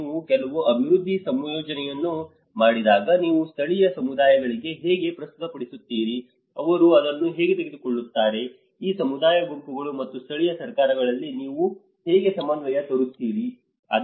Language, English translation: Kannada, When you make certain development scheme, how you present to the local communities, how they take it, how you bring that coordination within these community groups and the local governments